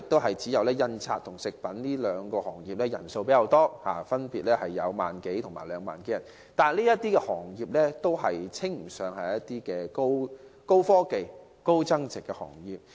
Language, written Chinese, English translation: Cantonese, 現時只有從事印刷和食品製造兩個行業的人數較多，分別有1萬多人和2萬多人，但這些行業均稱不上是高端科技及高增值的行業。, Currently there are only more people working in the printing and food processing industries with 10 000 - odd and 20 000 - odd people respectively but these industries cannot be regarded as high - end technological and high value - added industries